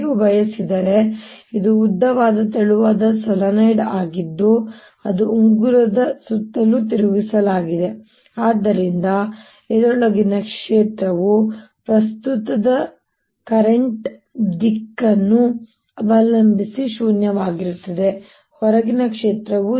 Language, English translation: Kannada, this is a long, thin solenoid which has been turned into around ring so that the field inside this is non zero, depending on the direction of the current outside field is zero